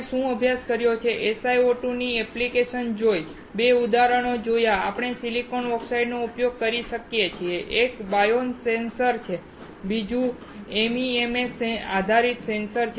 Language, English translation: Gujarati, What we have studied: seen the application of SiO2, 2 examples where we can use the silicon dioxide; one is a biosensor, while another one is MEMS based sensor